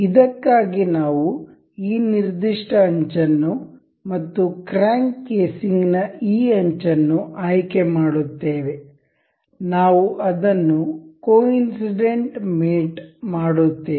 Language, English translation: Kannada, For this, we will select the this particular edge and the this edge of the crank casing, we will mate it up to coincide